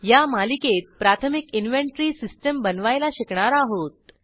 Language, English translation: Marathi, In this series, we have demonstrated how to create a basic inventory system